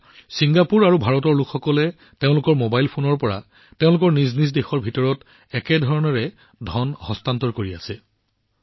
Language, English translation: Assamese, Now, people of Singapore and India are transferring money from their mobile phones in the same way as they do within their respective countries